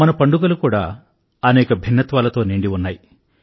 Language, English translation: Telugu, Even our festivals are replete with diversity